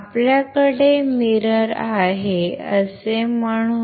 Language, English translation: Marathi, So, let us say you have a mirror